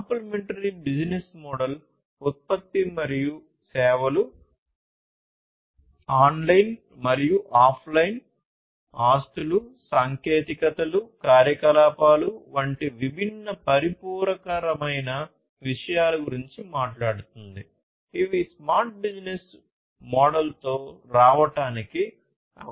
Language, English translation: Telugu, Complementary business model talks about things such as the product and services, online and offline assets, technologies, activities all these different complementary things, which are required in order to come up with the smart business model